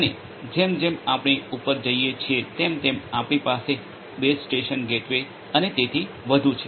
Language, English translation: Gujarati, And as we go higher up we have the base station the gateway and so on